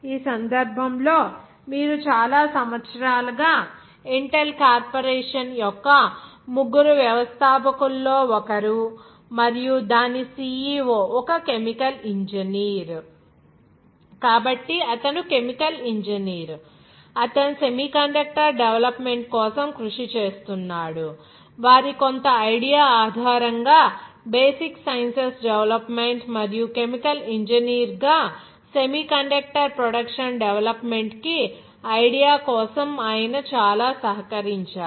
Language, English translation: Telugu, In this case and you grow a chemical engineer who has one of the three founders of the Intel Corporation and its CEO for many years, so he was chemical engineer, he was working for the development of the semiconductor, based on their some idea which is development of the basic sciences and as a chemical engineer, he has contributed a lot for the idea for the development of semiconductor production